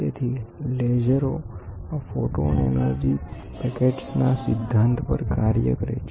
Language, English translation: Gujarati, So, lasers and work on the principle of this photon energy packets